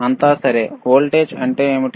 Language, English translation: Telugu, All right so, what is the voltage